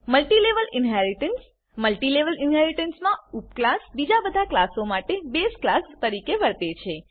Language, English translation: Gujarati, Multilevel inheritance In Multilevel inheritance the subclass acts as the base class for other classes